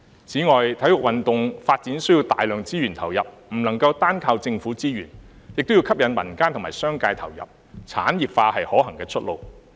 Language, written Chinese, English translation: Cantonese, 此外，體育運動發展需要投入大量資源，不能夠單靠政府資源，也要吸引民間和商界參與，故此產業化是可行的出路。, Besides the development of sports requires a lot of resources and cannot rely solely on government resources but also needs to attract the participation of the community and the business sector so industrialization is a viable way forward